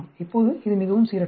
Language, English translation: Tamil, Now, this is quite random